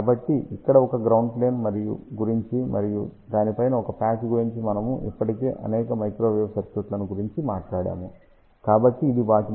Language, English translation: Telugu, So, just thing about a ground plane here and a patch on top of that we have already talked several microwave circuits, so it is very similar to that